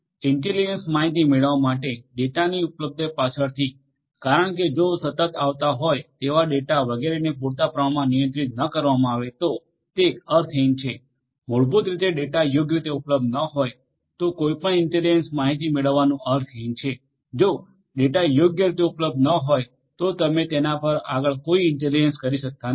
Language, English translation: Gujarati, So, availability of the data in order to derive intelligence later on because if the data that is continuously coming etcetera etcetera is not handled adequately, then it is meaningless basically it is meaningless to derive any intelligence if the data is not available properly then you cannot do any further intelligence on it